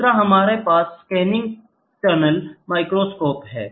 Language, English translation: Hindi, The other one is scanning tunneling microscope